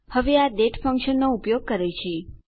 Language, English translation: Gujarati, Now, this is using the date function